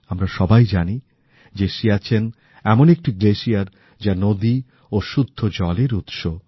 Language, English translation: Bengali, We all know that Siachen as a glacier is a source of rivers and clean water